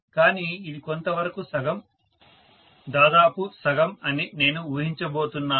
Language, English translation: Telugu, But, I am going to assume that it is fairly half, almost half